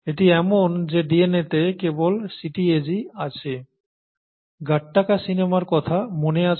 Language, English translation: Bengali, It’s so happens that in DNA you have a only CTAG, okay Gattaca remember